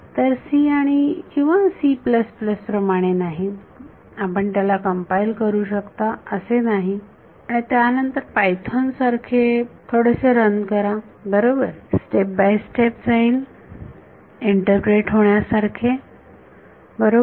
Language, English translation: Marathi, So, unlike c or c plus plus, it is not that you can compile it and then run it is like a little bit like python right it will go step by step, interpretable right